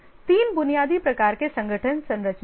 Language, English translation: Hindi, There are three basic types of organization structures